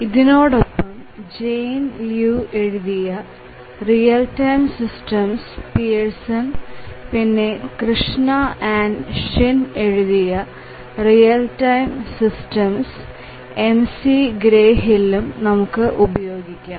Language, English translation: Malayalam, And we will supplement this with Jane Liu Real Time systems, again Pearson and then we will also refer to Krishna and Shin Real Time systems McGraw Hill